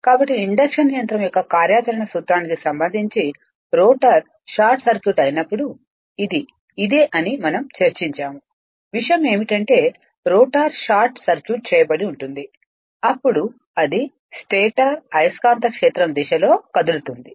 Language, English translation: Telugu, So, before that that regarding principle of operation of induction machine we have discussed that, when the rotor is short circuited its a this thing its a we assume that rotor is short circuited itself, then it tends to move right in the direction of the stator magnetic field right